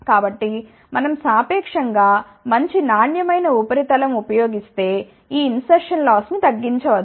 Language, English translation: Telugu, So, if we use a relatively good quality substrate then this insertion loss can be reduced